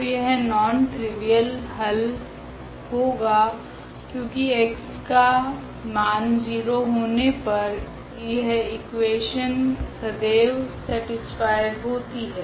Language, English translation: Hindi, So, meaning this non trivial solution because x is equal to 0 will always satisfy this equation